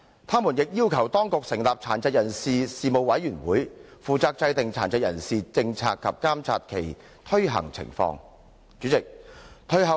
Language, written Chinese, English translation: Cantonese, 他們亦要求當局成立殘疾人士事務委員會，負責制訂殘疾人士政策及監察其推行情況。, The Administration was also requested to establish a Commission on Persons with Disabilities to formulate and oversee implementation of policies for persons with disabilities